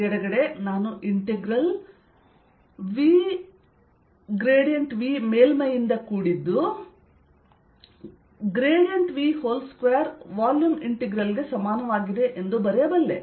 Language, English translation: Kannada, the left hand side i can write as integral v grad v dotted with surface is equal to integral grad v square over the volume